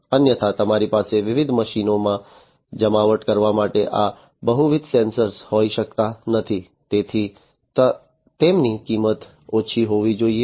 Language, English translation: Gujarati, Otherwise you cannot have multiple such sensors to be deployed in different machines, so they have to be low cost